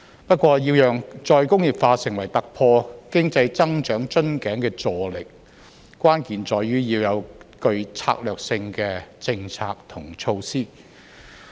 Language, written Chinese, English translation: Cantonese, 不過，要讓再工業化成為突破經濟增長瓶頸的助力，關鍵在於要有具策略性的政策及措施。, However the key to making re - industrialization a tool to help break through the bottleneck in economic growth lies in strategic policies and measures